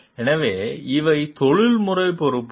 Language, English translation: Tamil, So, these are professional responsibilities